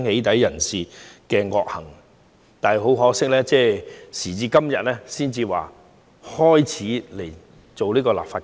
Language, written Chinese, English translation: Cantonese, 但是，很可惜，當局時至今日才開始進行立法。, However very regrettably the authorities have waited until today to start legislating against doxxing